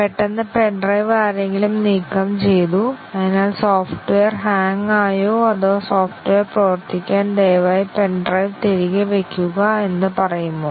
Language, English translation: Malayalam, And then, suddenly somebody removed the pen drive, so does the software hang or does it say that please put back the pen drive for the software to work